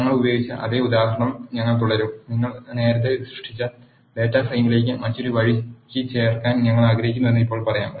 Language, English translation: Malayalam, We will continue the same example which we have used and now let us say we want to add another row to the data frame which you have created earlier